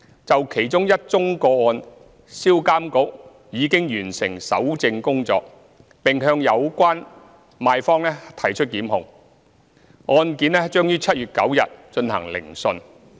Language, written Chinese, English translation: Cantonese, 就其中一宗個案，銷監局已完成搜證工作，並向有關賣方提出檢控，案件將於2019年7月9日進行聆訊。, On one of the cases SRPA has completed the work of evidence collection and initiated prosecution . The case will be heard on 9 July